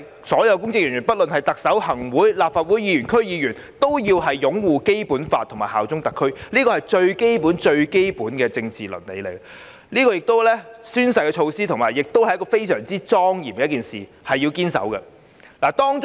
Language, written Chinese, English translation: Cantonese, 所有公職人員，不論是特首、行政會議成員、立法會議員或區議員，均須擁護《基本法》及效忠特區，這是最基本、最基本的政治倫理，宣誓的舉措亦是非常莊嚴的事，應該堅守。, All public officers including the Chief Executive and members of the Executive Council of the Legislative Council and of DCs must uphold the Basic Law and bear allegiance to SAR . This is the most basic and fundamental political ethics and oath - taking is also a very solemn thing that should be upheld